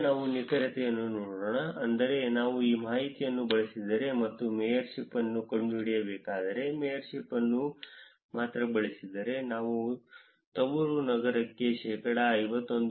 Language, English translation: Kannada, Now, let us look at accuracy, which is if I were to use this information and find out that mayorship, only using the mayorship, I am able to find the home city 51